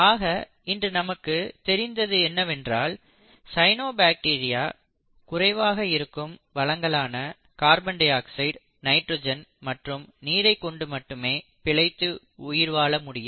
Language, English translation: Tamil, So in what is now known today is that the cyanobacterium although one of the more complex ones, can survive on very bare resources like carbon dioxide, nitrogen and water